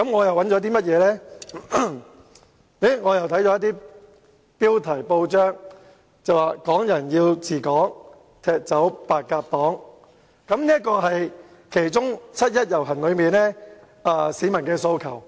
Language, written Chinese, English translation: Cantonese, 我看到一些媒體報道的報章標題："港人要治港，踢走白鴿黨"，這是七一遊行的其中一個市民訴求。, I found some press reports with the following headline Oust the Pigeon Party for Hong Kong people administering Hong Kong . This is also one of the peoples aspirations for the 1 July march